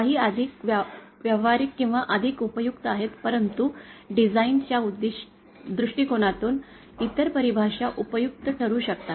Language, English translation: Marathi, Some are more practical or more useful but then from the design point of view, other definitions can be useful